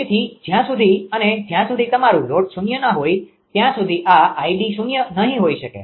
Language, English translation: Gujarati, So, unless and until your load is 0 this this id cannot be zero right